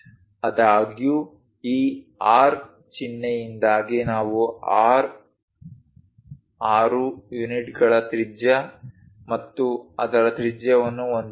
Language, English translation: Kannada, However, we have a radius of 6 units and its radius because of this R symbol